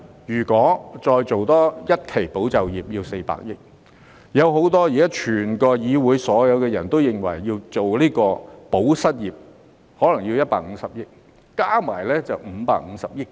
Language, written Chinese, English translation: Cantonese, 如果再推出多一期"保就業"需要400億元，加上現時議會內所有議員都爭取的"保失業"可能需要150億元，加起來總共約550億元。, If another tranche of ESS is introduced it will cost 40 billion . If we add to this amount 15 billion the costs of unemployment assistance for which Members are currently demanding in the Chamber we will come to a total of about 55 billion